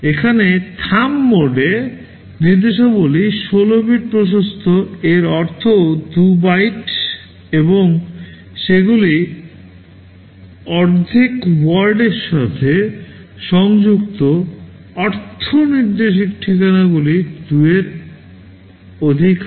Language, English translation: Bengali, Here in the Thumb mode, the instructions are 16 bit wide; that means, 2 bytes and they are half word aligned means the instruction addresses are multiple of 2